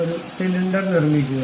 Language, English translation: Malayalam, Construct a cylinder